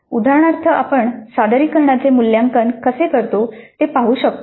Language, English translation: Marathi, As an example, we can look at how we evaluate the presentation